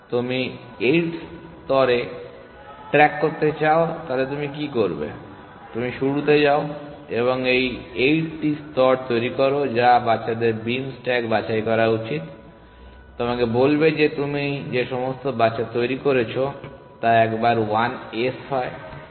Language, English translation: Bengali, You want to back track to the 8 layer what do you do you go to the start and generate 8 layers which children should pick the beam stack will tell you that of all the children that you are generating which once are the 1s